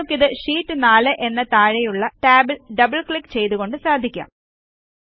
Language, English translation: Malayalam, You can simply do this by double clicking on the Sheet 4tab below